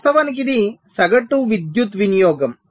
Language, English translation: Telugu, this is actually the average power consumption